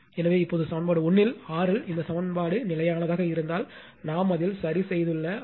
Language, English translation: Tamil, So, now if R L in equation 1 this equation is held fixed, suppose R L we have fixed in it say R L is held fixed